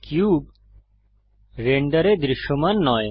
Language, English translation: Bengali, The cube is not visible in the render